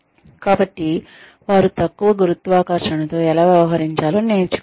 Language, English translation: Telugu, So they need to learn, how to deal with less gravity